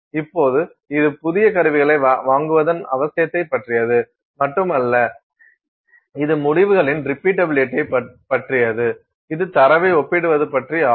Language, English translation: Tamil, Now, it is not simply about the need to keep buying new instruments, it is also about repeatability of results, it is also about comparing data